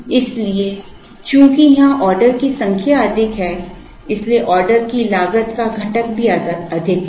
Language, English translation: Hindi, So, since the number of orders is more here, the order cost component is also more